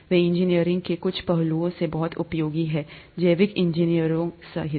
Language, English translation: Hindi, They are very useful in some aspects of engineering, including biological engineering